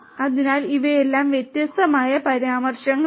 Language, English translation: Malayalam, So, thank you these are all these different references